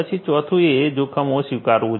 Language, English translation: Gujarati, Then the fourth one is that accepting the risk